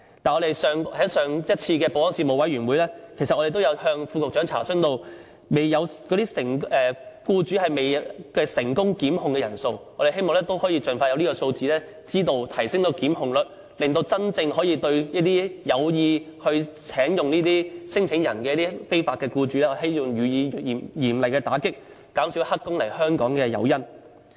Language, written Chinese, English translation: Cantonese, 但是，在上一次保安事務委員會，我們曾向副局長查詢僱主聘用聲請人未成功檢控的人數資料，我們希望盡快提供這方面的數字，提升檢控率，對這些有意聘用聲請人的僱主予以嚴厲打擊，減少黑工來香港的誘因。, Nevertheless we have asked the Under Secretary for information about the figures of unsuccessful prosecution of employers who employ these claimants in the last meeting of the Security Panel . We hope the authority will provide the figures as soon as practicable so that the successful prosecution rate can be increased and a severe blow could be struck at the employers who employ these claimants with a view to reducing the incentive for illegal entrants to come and seek employments in Hong Kong